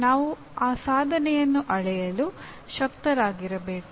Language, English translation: Kannada, Then we should be able to measure that attainment